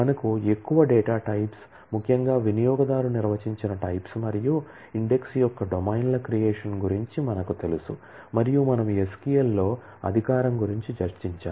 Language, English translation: Telugu, We are familiarized with more data types particularly user defined types and domains creation of index and we have discussed about authorization in SQL